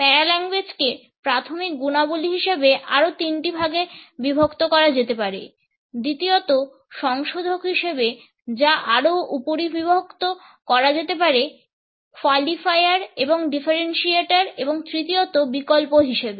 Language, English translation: Bengali, Paralanguage can be further divided into three categories as of primary qualities, secondly, modifiers which can be further subdivided into qualifiers and differentiators and thirdly, the alternates